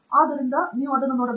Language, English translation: Kannada, So, that is the way you need to look at it